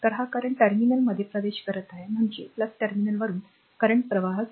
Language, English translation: Marathi, So, this current is entering the terminal means from plus terminal the current is flowing